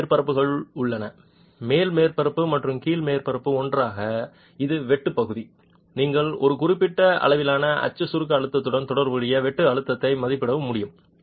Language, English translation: Tamil, There are two surfaces, upper surface and lower surface together which is the shear area, you will be able to estimate the shear stress corresponding to a certain level of axial compressive stress